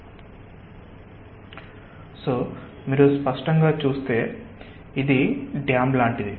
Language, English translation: Telugu, if you clearly see, ah, this is like a dam